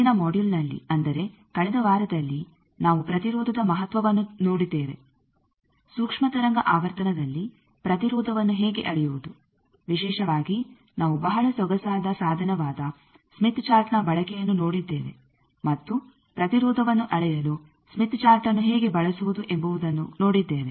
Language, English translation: Kannada, In the last module that is the last week we have seen the importance of impedance, how to measure impedance at microwave frequencies particularly we have seen the use of a very elegant tools smith chart, and how to use the smith chart to measure impedance